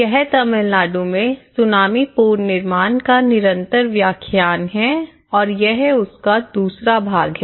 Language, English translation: Hindi, This is a continuation lecture of tsunami reconstruction in Tamil Nadu part two